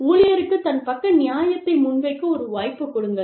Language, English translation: Tamil, Give the employee a chance, to present his or her point of view